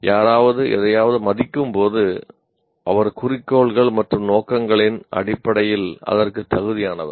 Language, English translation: Tamil, When someone values something, he or she assigns worth to it with reference to goals and purposes